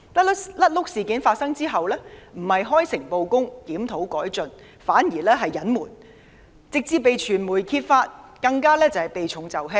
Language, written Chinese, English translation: Cantonese, "甩轆"事件發生後，他們不是開誠布公，檢討改進，反而是隱瞞，直至被傳媒揭發，其後對事件的回應更是避重就輕。, After the blunders instead of being sincere and honest to make reviews and improvements they concealed the matter until it was exposed by the media . And in their subsequent responses to the incident they evaded the key questions but dwelled on trivial matters